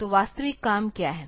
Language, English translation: Hindi, So, what is the actual work